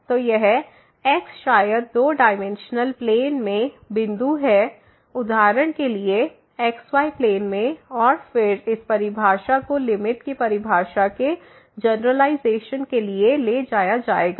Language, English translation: Hindi, So, this maybe point in two dimensional plane for example, in plane and again, this definition will be carried for generalization the definition of the limit